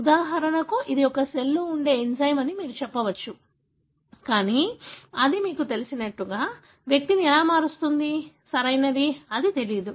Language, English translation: Telugu, For example, you may say it is an enzyme present in a cell, but how does it really, you know, change the individual, right, that is not known